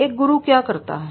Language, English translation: Hindi, So what a mentor does